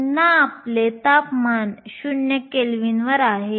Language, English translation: Marathi, Again your temperature is 0 kelvin